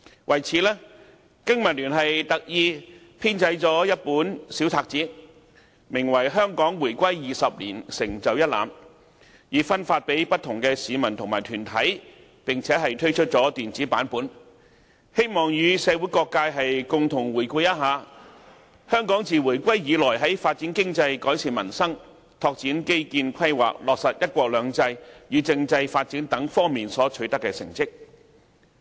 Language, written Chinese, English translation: Cantonese, 為此，經民聯特意編製了一本小冊子，名為《香港回歸20年成就一覽》，分發給不同的市民和團體，並推出電子版本，希望與社會各界共同回顧香港自回歸以來在發展經濟、改善民生、拓展基建規劃、落實"一國兩制"與政制發展等方面所取得的成績。, As such BPA has specially compiled a pamphlet titled A glance at Hong Kongs accomplishments 20 years since the reunification to be distributed to the public and different organizations . We have also prepared an electronic version in the hope that various sectors in society can review together Hong Kongs accomplishments since the reunification in respect of economic development improvement of peoples livelihood infrastructure development and planning implementation of one country two systems and constitutional development